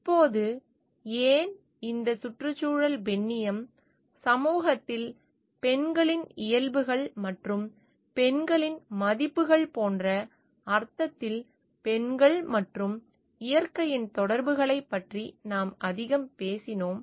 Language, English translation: Tamil, Now, why this ecofeminism so, it is more where we called about the between the connections of women and nature in the sense like, what how woman the nature of women in the society and with the values of women